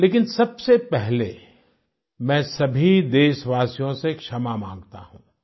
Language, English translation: Hindi, But first of all, I extend a heartfelt apology to all countrymen